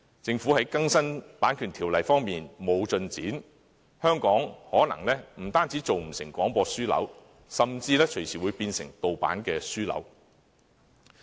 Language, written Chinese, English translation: Cantonese, 政府在更新《版權條例》方面沒有進展，香港可能不單做不成廣播樞紐，甚至隨時會變成盜版樞紐。, And as the Government has failed to make any progress in updating the Copyright Ordinance Hong Kong may be verging on degenerating into a privacy hub rather than becoming a broadcasting hub